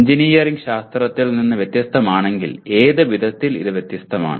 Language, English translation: Malayalam, If engineering is different from science in what way it is different